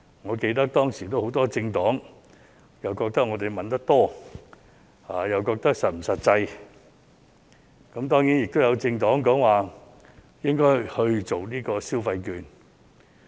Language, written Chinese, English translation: Cantonese, 我記得當時很多政黨說我們提議的金額太多，又質疑是否實際，當然，亦有政黨認為應該派發消費券。, As far as I recall many political parties commented back then that the sum proposed by us was too high and queried whether the proposal was practicable . There were of course other political parties which thought that consumption vouchers should be handed out instead